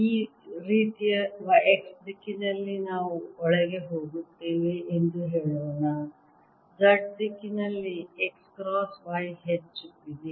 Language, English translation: Kannada, like this: y, say, is going in x, cross y, z direction is going up